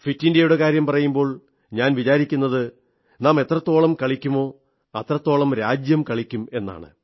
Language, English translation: Malayalam, When I say 'Fit India', I believe that the more we play, the more we will inspire the country to come out & play